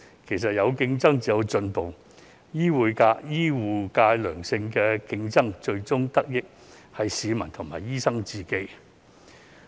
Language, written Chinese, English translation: Cantonese, 其實有競爭才有進步，醫護界有良性競爭，最終得益的是市民和醫生。, In fact only when there is competition will there be progress . The public and doctors will ultimately benefit if there is healthy competition in the healthcare industry